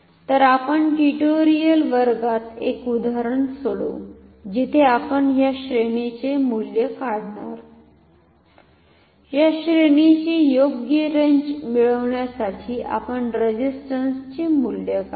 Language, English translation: Marathi, So, we will take a problem in a tutorial class where we will calculate the values of this ranges of this of the values of the resistances to get suitable ranges ok